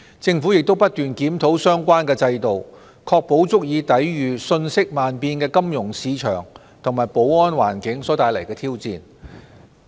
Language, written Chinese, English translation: Cantonese, 政府亦不斷檢討相關制度，確保其足以抵禦瞬息萬變的金融市場和安全環境所帶來的挑戰。, To stay ahead of the curve we put the AMLCFT regime under continuous review to ensure that it can live up to challenges posed by the fast - changing financial market and security landscapes